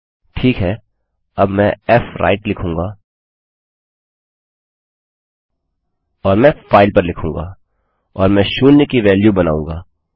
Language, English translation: Hindi, Now Ill say fwrite and Ill write to file and Ill create a value of zero